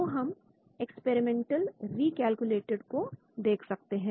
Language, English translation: Hindi, So we can view experimental recalculated